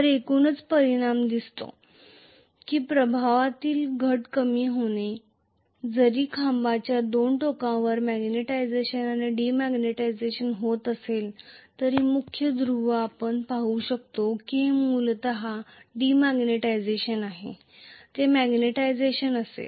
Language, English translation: Marathi, So, the overall effect that is seen is the net reduction in flux, all though magnetization and demagnetization are happening at the 2 ends of the pole, main pole you can see that this is essentially demagnetization, this is magnetization